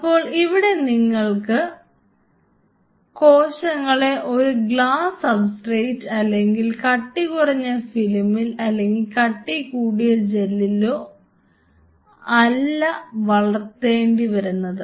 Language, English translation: Malayalam, So, here you have no more growing the cells not on a glass substrate with thin film or a thin film or a thin gel you are having the whole gel and you want to grow the cells on the gel